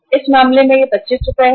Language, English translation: Hindi, In this case it is 25 Rs